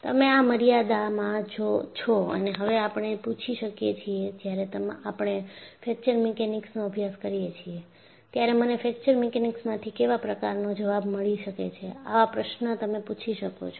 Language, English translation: Gujarati, So that, you are well within the limits and now we can ask, when I do a course in Fracture Mechanics, what are the answers that, I could get from Fracture Mechanics is the question that when ask